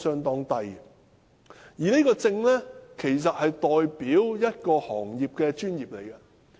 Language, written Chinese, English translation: Cantonese, 然而，這個證件其實代表一個行業的專業。, However this document is in fact a reflection of the professionalism of an industry